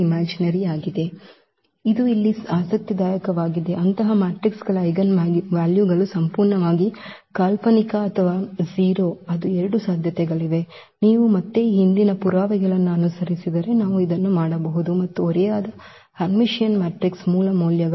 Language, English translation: Kannada, So, this is also interesting here that eigenvalues of such matrices are either purely imaginary or 0 that is the two possibilities, which again if you follow the earlier proof we can also do this one and the eigenvalues of the a skew Hermitian matrix